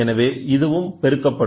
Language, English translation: Tamil, So, this also will get amplified